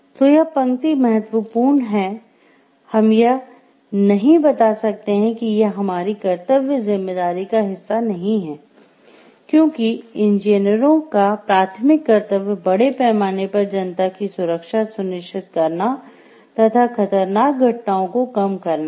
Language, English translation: Hindi, So, this line is important is; we cannot tell like this is not a part of our duty responsibility because, the primary duty of the engineers are to ensure the safety of the public at large to reduce occurrence of hazardous incidents and happenings